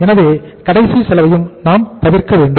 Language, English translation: Tamil, So we should avoid the last cost also